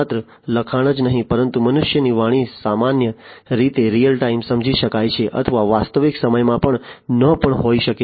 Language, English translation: Gujarati, Not just the text, but the speech of the human beings can be understood typically in real time or, you know, may not be real time as well